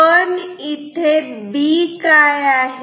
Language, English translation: Marathi, What is B